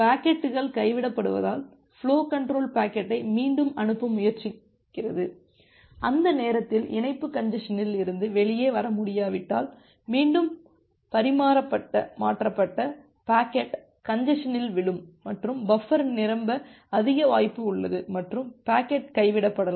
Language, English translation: Tamil, Because packets are getting dropped, the flow control is trying to retransmit the packet, if at that time the link is not able to come out of the congestion, again that retransmitted packet will fall in the congestion and there is a high probability that the buffer is still full and the packet may get dropped